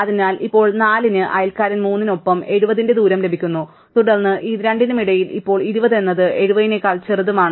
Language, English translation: Malayalam, So, now 4 gets the distance 70 with the neighbour 3, and then among these two, now 20 is smaller than 70